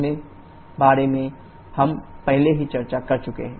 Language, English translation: Hindi, We have already discussed about that